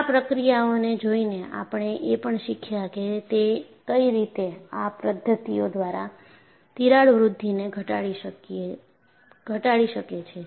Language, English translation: Gujarati, So, by looking at these processes, we also learned in what way, you could minimize crack growth by these mechanisms